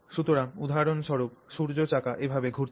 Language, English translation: Bengali, So, for example, we have pointed out that the sun wheel is rotating like this